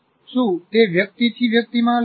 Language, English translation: Gujarati, Does it differ from person to person